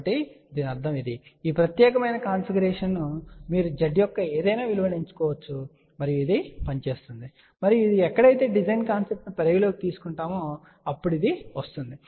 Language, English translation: Telugu, So that means, this particular configuration you can choose any value of Z and this will work and this is where the design concept comes into picture